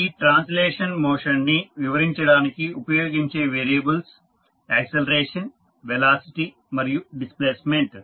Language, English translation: Telugu, The variables that are used to describe translational motion are acceleration, velocity and displacement